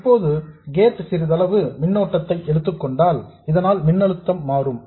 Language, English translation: Tamil, Now if the gate draws some current that will change the voltage here